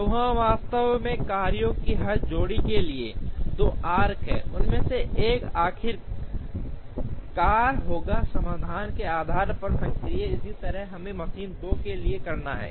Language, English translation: Hindi, So, there are actually for every pair of jobs there are two arcs, one of them will finally be active depending on the solution, similarly we have to do for machine 2